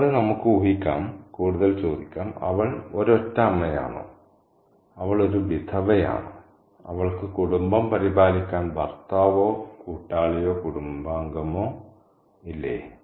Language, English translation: Malayalam, And we can also speculate on further and ask, is she a single mother, is she a widow, doesn't she have a husband, a companion or family member to take care of the family